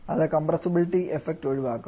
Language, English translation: Malayalam, This is the compression process